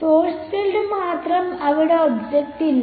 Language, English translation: Malayalam, Only the source field there is no object